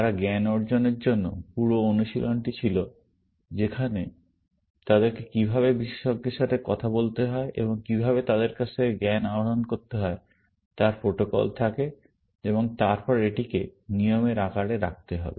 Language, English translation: Bengali, There was a whole exercise of what they use to call as knowledge acquisition where, they have protocols of how to talk to expert, and how to extract knowledge from them, and then put it in the form of rules, essentially